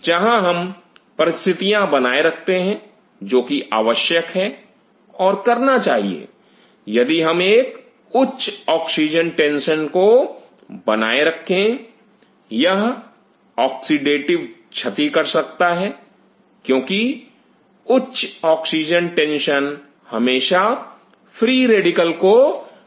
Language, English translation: Hindi, Where we maintain the conditions, what is needed and again one has to realize if we maintain a higher oxygen tension, this may lead to oxidative like oxidative damage because higher oxygen tension always leads to the free radical formation